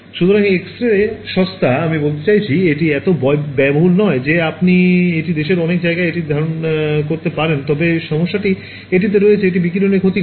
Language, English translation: Bengali, So, X ray is cheap I mean it is not that expensive you can imagine having it in many places in the country, but the problem is it has, it causes radiation damage